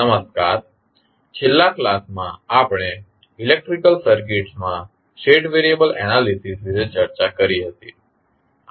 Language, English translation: Gujarati, Namaskrar, since last class we discuss about the State variable analysis in the electrical circuits